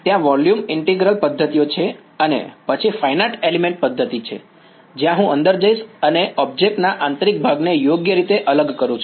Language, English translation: Gujarati, There is volume integral method and then there is finite element method, where I go inside and discretize the interior of an object right